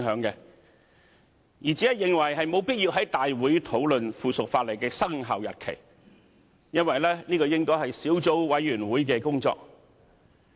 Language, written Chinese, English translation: Cantonese, 我只是認為沒有必要在大會討論《修訂規則》的生效日期，因為這應該是小組委員會的工作。, I just do not find it necessary to debate the commencement date of the Amendment Rules at a Council meeting as it should be the work of the subcommittee concerned